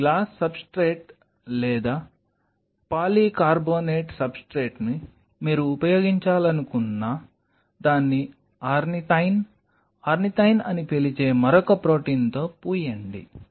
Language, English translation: Telugu, You take the glass substrate or the polycarbonate substrate whatever you want you to use you coat it with another protein called ornithine, ornithine